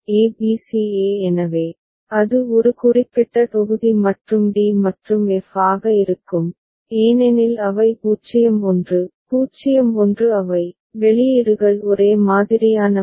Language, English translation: Tamil, a b c e so, that will be one particular block and d and f because 0 1, 0 1 they are there, the outputs are identical